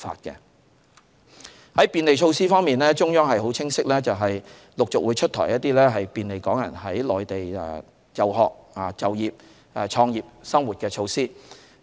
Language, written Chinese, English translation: Cantonese, 在便利措施方面，中央是很清晰的，就是會陸續出台一些便利港人在內地就學、就業、創業和生活的措施。, In terms of facilitation measures the Central Authorities are very clear in the policy of gradually rolling out some measures to assist Hong Kong residents in studying working starting business and living in the Mainland